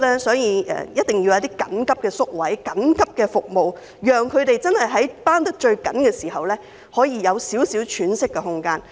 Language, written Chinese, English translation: Cantonese, 所以，我們提出增加緊急宿位及提供緊急服務，讓他們在最繃緊的時候可以有少許喘息的空間。, Therefore we propose to increase the number of emergency places and provide emergency services so as to give such carers a little breathing space when they are most stressful